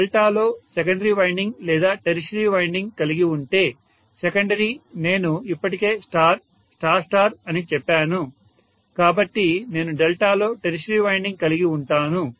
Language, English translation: Telugu, If I have a secondary winding or a tertiary winding in delta, secondly winding already I said is star, star star so I can have a tertiary winding in delta